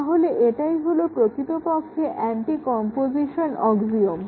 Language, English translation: Bengali, So, that is basically the anti composition axiom,again